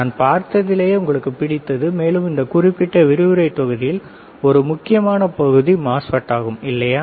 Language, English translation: Tamil, What we have seen we will also see your favourite and part of this particular lecture and the part of this particular course is the MOSFET, right